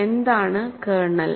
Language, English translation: Malayalam, What is kernel